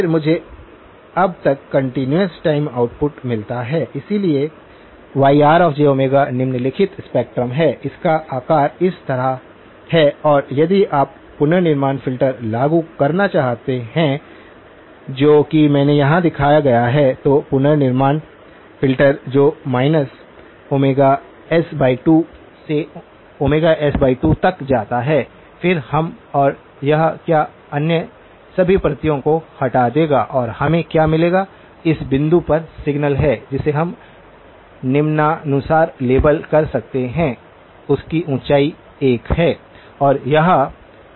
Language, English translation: Hindi, Then, I now get a continuous time output, so Yr of j omega is the following spectrum, it has the shape like this and if you were to apply reconstruction filter that is the indicator I have shown here, reconstruction filter that goes from minus omega s by 2 to omega s by 2, then what we and it will remove all of the other copies and what we will get is the signal at this point which we can label as follows, this has a height of 1